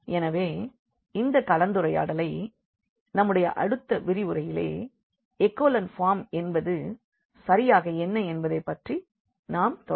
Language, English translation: Tamil, So, this is we will be continuing this discussion in the next lecture what is exactly echelon form in general